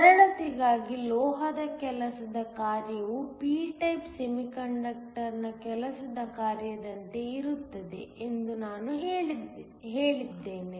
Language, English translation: Kannada, For simplicity, I am going to say that the work function of the metal is the same as the work function of the p type semiconductor